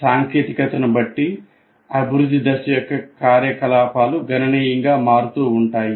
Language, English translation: Telugu, And depending on the technology, the activities of development phase will completely vary